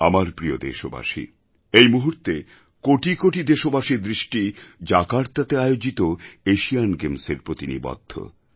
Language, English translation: Bengali, The attention of crores of Indians is focused on the Asian Games being held in Jakarta